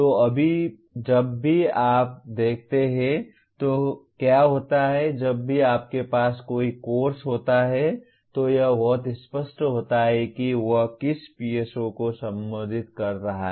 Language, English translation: Hindi, So what happens whenever you look at; whenever you have a course, it is very clear which PSO it is addressing, the entire